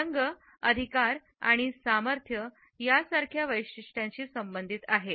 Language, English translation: Marathi, These colors are associated with traits like authority and power